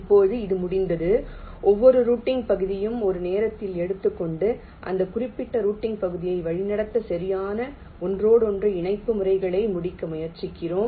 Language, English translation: Tamil, now, once this is done, we take every routing regions, one at a time, and try to complete the exact inter connection patterns to route that particular routing region